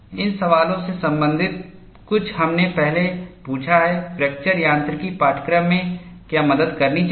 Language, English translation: Hindi, Something related to these questions we have asked earlier, what a fracture mechanics course should help